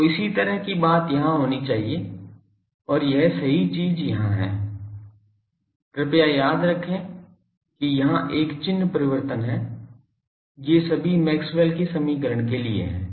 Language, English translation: Hindi, So, similar thing should be here and that correct thing is here please remember that there is a sign change here, these are all for Maxwell’s equation thing Now, this is equivalence principle followed